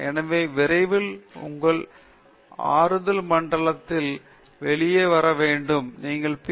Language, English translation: Tamil, So, sooner than later you have to come out of your comfort zone and leave your Ph